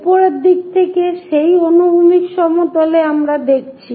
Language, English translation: Bengali, On that horizontal plane from top side we are viewing